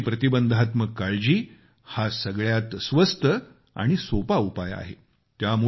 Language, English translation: Marathi, Preventive health care is the least costly and the easiest one as well